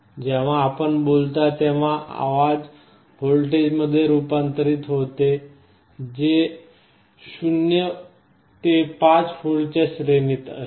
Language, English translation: Marathi, Whenever you are speaking sound is being converted into a voltage, which is in the 0 to 5 volts range